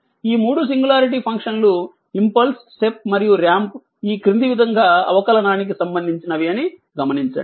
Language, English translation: Telugu, Note that 3 singularity functions impulse step and ramp are related to differentiation as follows